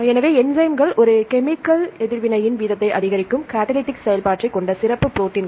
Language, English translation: Tamil, So, enzymes are specialized proteins with the catalytic activity that increase the rate of a chemical reaction